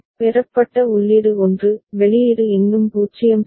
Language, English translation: Tamil, Input received is 1, output is still 0 ok